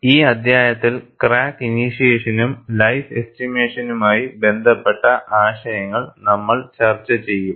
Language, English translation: Malayalam, We have been discussing concepts related to crack initiation and life estimation in this chapter